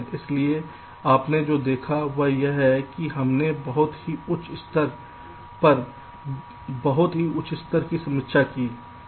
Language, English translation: Hindi, so what you have seen is that we have ah, looked at a very quick review from a very high level